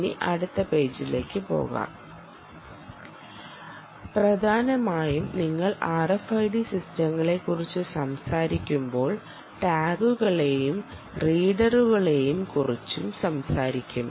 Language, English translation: Malayalam, so let me go to the next page, ok, so essentially, when you talk about r f i d systems, you talk about readers and you talk about tags